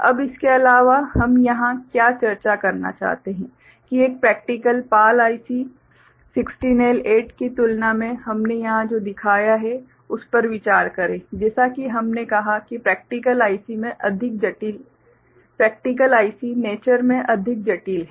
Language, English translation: Hindi, Now, what in addition we would like to discuss here is that, consider one practical PAL IC 16L8 in comparison to what we have shown here right; as we said practical ICs are more complex in nature